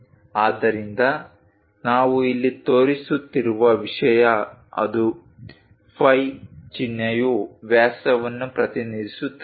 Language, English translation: Kannada, So, that is the thing what we are showing here, the symbol phi represents diameter